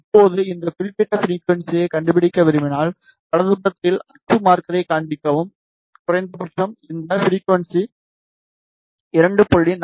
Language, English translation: Tamil, Now, if you want to locate this particular frequency right click show axis marker to minimum you see this frequency is 2